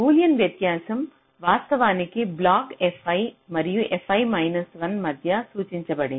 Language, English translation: Telugu, so the boolean difference is actually denoted like this: between block f i and f i minus one